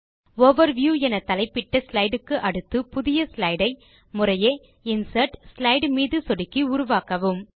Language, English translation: Tamil, Insert a new slide after the slide titled Overview by clicking on Insert and Slide